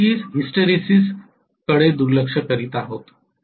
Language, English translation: Marathi, We are ofcourse neglecting hysteresis, of course neglecting hysteresis